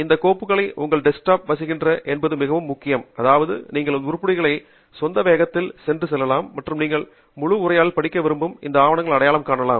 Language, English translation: Tamil, what is more important is that these files reside on your desktop, which means that you can go through these items at your own pace offline and identify those are among these papers where you want to read the full text